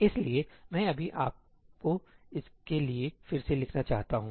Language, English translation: Hindi, So, let me just rewrite this for you